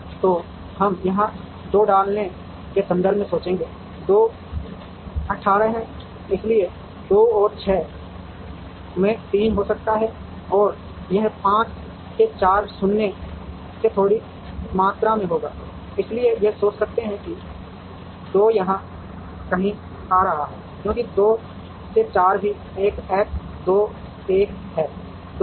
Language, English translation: Hindi, So, we would think in terms of putting 2 somewhere here, 2 is 18, so 2 could be a 6 into 3 or it would be a 5 into 4 minus a small quantity, so we could think in terms of 2 coming somewhere here, because 2 to 4 is also an X 2 1 to 2 is O